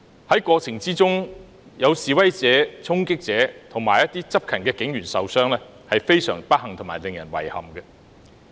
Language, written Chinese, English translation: Cantonese, 在這過程中有示威者、衝擊者和執勤警員受傷，是非常不幸和令人遺憾的。, During this process it was most unfortunate and regrettable that some protesters people committing charging acts and police officers on duty were injured